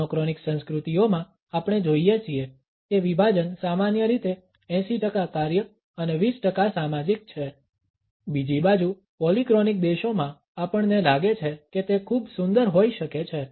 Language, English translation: Gujarati, In monochronic cultures we find that the division is typically 80 percent task and 20 percent social, on the other hand in polychronic countries we find that it may be rather cute